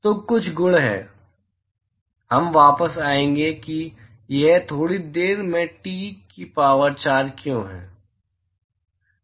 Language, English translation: Hindi, So, there are certain properties, we will come back to why it is T power 4 in a short while